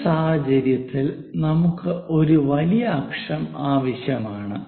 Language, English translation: Malayalam, In this case, we require major axis